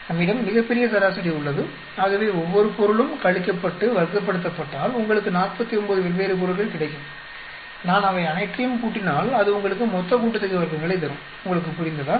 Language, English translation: Tamil, We have the grand average, so, each item is subtract, square it up, you will get 49 different terms I add up all of them that will give you total sum of squares, do you understand